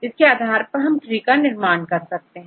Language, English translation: Hindi, So, from this one we can construct the tree right